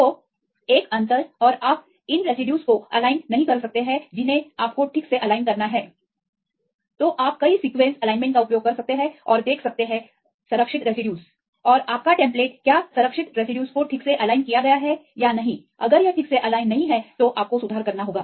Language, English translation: Hindi, So, introduce a gap or right and you can make these residues not align you have to align properly then you can use the multiple sequence alignment and see the conserved residues and your template whether the conserved residues are properly aligned or not if it is not properly aligned you have to make the corrections